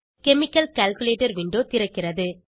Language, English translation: Tamil, Chemical calculator window opens